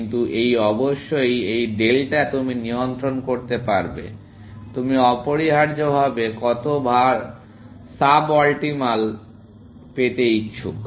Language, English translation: Bengali, But this, of course, this delta allows you to control; how much sub optimal you are willing to go essentially